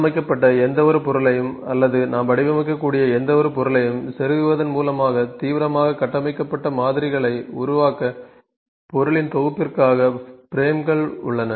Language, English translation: Tamil, So, the frames are for the grouping of objects to build ,a radically structured models by inserting any of the built in objects, any of the built in objects from these